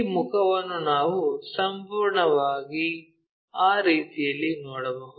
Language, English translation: Kannada, This face entirely we can see, goes in that way